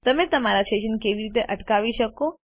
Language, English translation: Gujarati, How do you pause your session